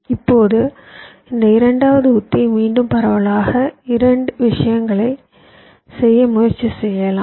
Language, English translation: Tamil, now this second strategy, again broadly, if you think we can try to do a couple of things